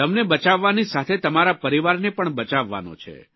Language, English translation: Gujarati, You have to protect yourself and your family